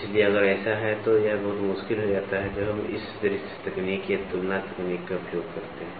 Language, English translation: Hindi, So, if this is the case then, it becomes very difficult when we use this visual technique or comparison technique